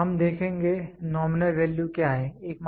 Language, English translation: Hindi, Then, we will see, what is nominal value